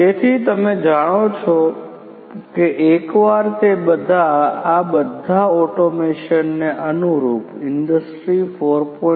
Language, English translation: Gujarati, So, you know once they all are going to be industry 4